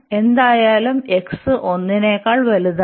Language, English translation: Malayalam, And now we have x greater than 1 anyway